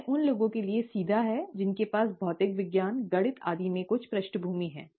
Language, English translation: Hindi, This is rather straightforward for people who have some background in physics, maths and so on